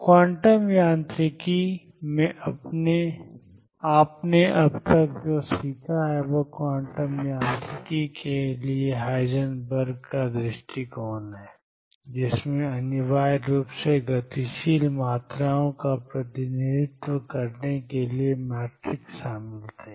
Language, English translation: Hindi, What you have learnt so far in quantum mechanics is Heisenberg’s approach to quantum mechanics, which essentially involved matrices to represent dynamical quantities